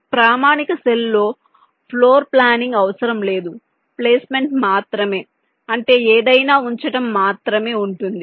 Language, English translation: Telugu, in standard cell, floor planning is not required, only placement placing something